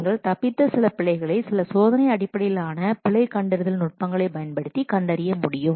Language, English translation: Tamil, These escaped errors may be detected easily if you will use some testing based error detection techniques